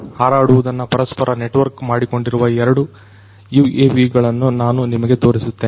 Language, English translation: Kannada, Let me now show you two UAVs, which are networked with each other flying